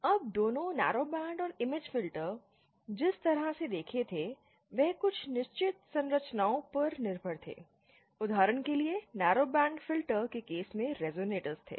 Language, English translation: Hindi, Now both the narrowband and image filters as we had seen, they rely on certain set structures, for example in the narrowband filter case, there were resonators